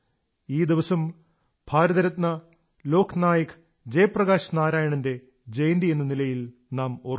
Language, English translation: Malayalam, This day, we remember Bharat Ratna Lok Nayak Jayaprakash Narayan ji on his birth anniversary